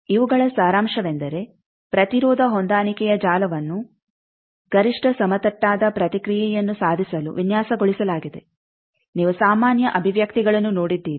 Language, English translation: Kannada, So, summary of these is impedance matching network is designed to achieve maximally flat response the generic expressions you have seen